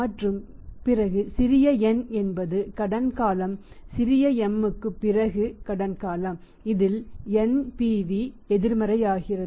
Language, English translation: Tamil, And then we have the and small n that small n is the credit period after after m at which at which NPV becomes negative at which NPV becomes negative